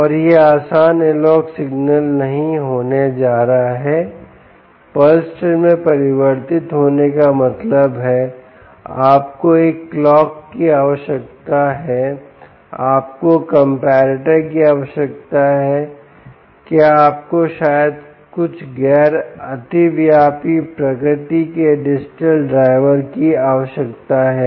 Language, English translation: Hindi, analogue signal converted to a pulse train means you need a clock, you need comparators, you did you perhaps need non overlapping digital drivers of some nature